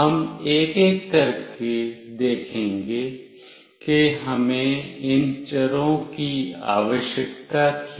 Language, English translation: Hindi, We will see one by one why we require these variables